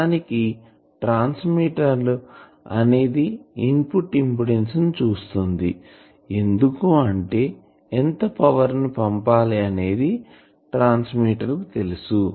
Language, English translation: Telugu, And actually a transmitter looks at the input impedance because a transmitter knows that you will have to deliver the power